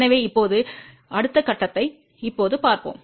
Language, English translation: Tamil, So now, let us see the next step